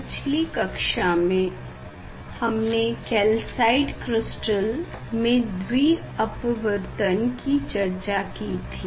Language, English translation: Hindi, In last class we have discuss about the double refraction in calcite crystal as well as quartz crystal